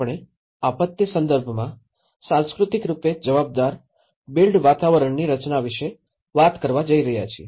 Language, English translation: Gujarati, Today, we are going to talk about designing culturally responsive built environments in disaster context